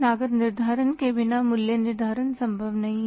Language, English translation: Hindi, Pricing is not possible without costing